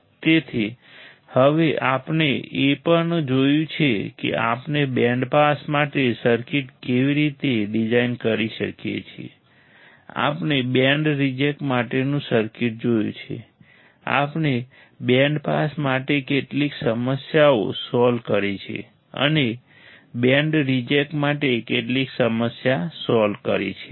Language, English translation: Gujarati, So, now, we have also seen how we can design the circuit for band pass, we have seen the circuit for band reject, we have solved some problems for band pass and solved some problem for band reject